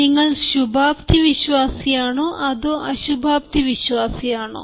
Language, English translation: Malayalam, are you an optimist or you are a pessimist